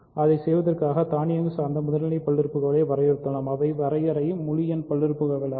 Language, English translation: Tamil, In order to do that we have defined primitive polynomials which are automatic which are by definition integer polynomials